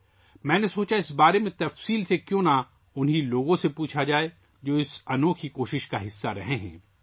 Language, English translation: Urdu, I thought, why not ask about this in detail from the very people who have been a part of this unique effort